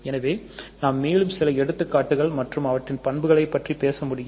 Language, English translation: Tamil, So, we can talk more talk about more examples and properties of them